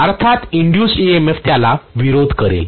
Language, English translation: Marathi, Obviously the induced EMF will oppose that